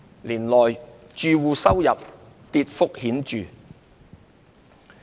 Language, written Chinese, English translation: Cantonese, 年內，住戶收入跌幅顯著。, Household incomes fell markedly in the year